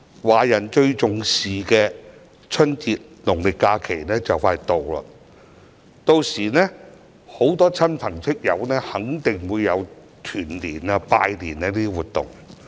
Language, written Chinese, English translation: Cantonese, 華人最重視的春節農曆假期快將來到，屆時很多市民肯定會與親朋戚友進行團年、拜年等活動。, The Chinese New Year holiday which is most important to the Chinese is coming . At such time many people will certainly take part in activities with families and friends such as Chinese New Years reunion dinners and Chinese New Year visits